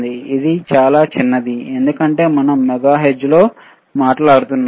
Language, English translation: Telugu, This is negligibly small why because we are talking about megahertz,